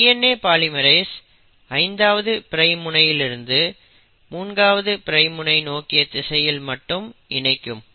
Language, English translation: Tamil, The DNA polymerisation always happens in the direction of 5 prime to 3 prime